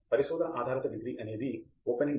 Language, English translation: Telugu, In a research based degree, it is open ended